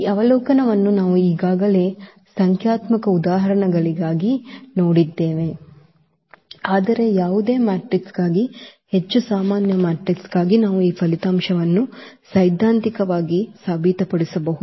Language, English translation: Kannada, This observation we already have seen for numerical examples, but we can prove here for more general matrix for any matrix we can prove this result theoretically